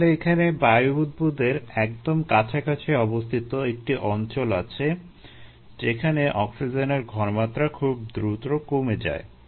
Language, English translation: Bengali, then there is a region very close to the air bubble where the concentration of oxygen decreases quite drastically